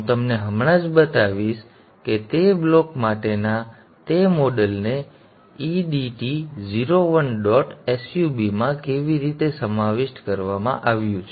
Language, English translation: Gujarati, I will just show you how that block, the model for that block has been incorporated in EDT0